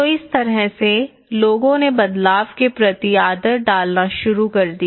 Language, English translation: Hindi, So in that way, people started adapting to the change